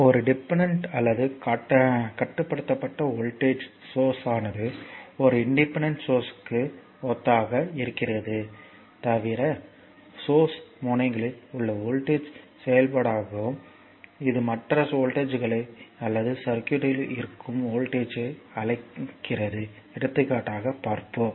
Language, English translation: Tamil, So, and a dependent or controlled voltage source is similar to an independent source, except that the voltage across the source terminals is a function of other your what you call other voltages or current in the circuit for example, look